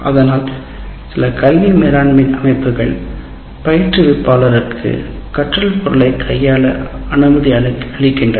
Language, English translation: Tamil, So, some of the academic management systems permit you curating, permit you to curate the material